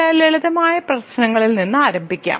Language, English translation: Malayalam, So let me start with some simpler problems